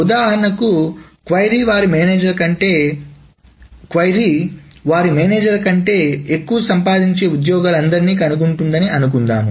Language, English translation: Telugu, For example, suppose the query is find all employees who earn more than their manager